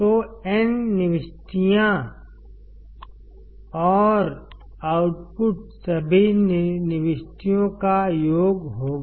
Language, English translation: Hindi, So, n inputs and the output will be summation of all the inputs